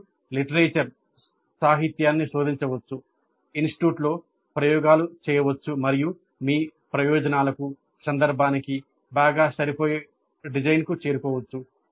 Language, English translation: Telugu, You can search the literature, you can experiment in the institute and arrive at the design which best suits your purposes, your context